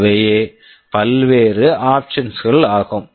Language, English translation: Tamil, These are the various options